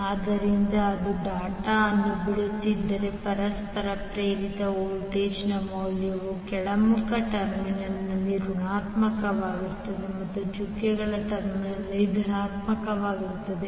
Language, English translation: Kannada, So that means if d it is leaving the dot the value of mutual induced voltage will be negative at the downward terminal and positive at the doted terminal